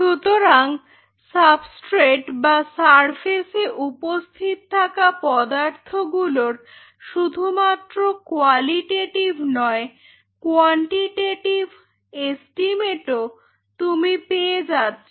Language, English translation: Bengali, So, that way you not only have a qualitative estimate you also have a quantitative estimate of individual elements present on the substrate or surface